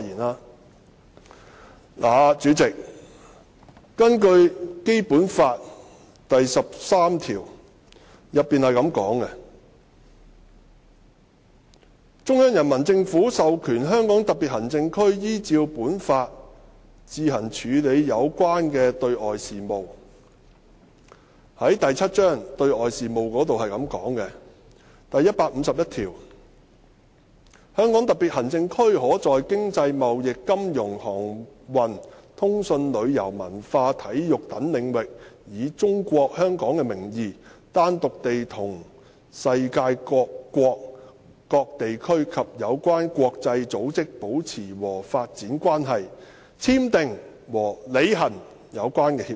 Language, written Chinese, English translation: Cantonese, 代理主席，《基本法》第十三條訂明："中央人民政府授權香港特別行政區依照本法自行處理有關的對外事務"，而在第七章"對外事務"之下的第一百五十一條亦訂明："香港特別行政區可在經濟、貿易、金融、航運、通訊、旅遊、文化、體育等領域以'中國香港'的名義，單獨地同世界各國、各地區及有關國際組織保持和發展關係，簽訂和履行有關協議"。, Deputy President while Article 13 of full Basic Law stipulates that The Central Peoples Government authorizes the Hong Kong Special Administrative Region to conduct relevant external affairs on its own in accordance with this Law Article 151 under Chapter VII External Affairs also stipulates that The Hong Kong Special Administrative Region may on its own using the name Hong Kong China maintain and develop relations and conclude and implement agreements with foreign states and regions and the relevant international organizations in the appropriate fields including the economic trade financial and monetary shipping communications tourism cultural and sports fields